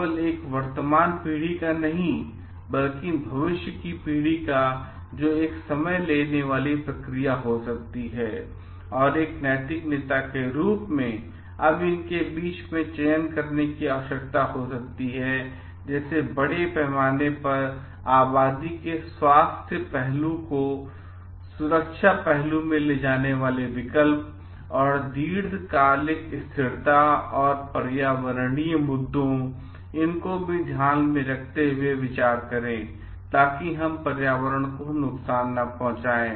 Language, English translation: Hindi, Of not only a present generation, but future generation which is may be a time consuming process, and the leader as a moral leader, now may need to choose between these alternatives taking into my the safety aspect the health aspect of the population at large and for the long term sustainability and also taking the environmental issues into consideration, so that we are not going to provide harm to the environment